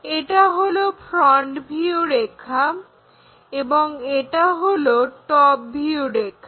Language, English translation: Bengali, But, this one is front view and this one is top view